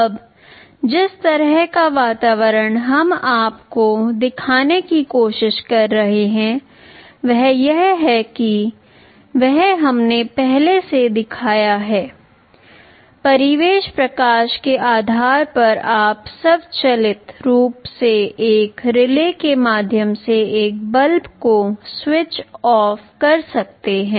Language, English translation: Hindi, Now the kind of an environment that we are trying to show you is suppose first one is the one that we have already shown earlier depending on the ambient light you can automatically switch on a switch off a bulb through a relay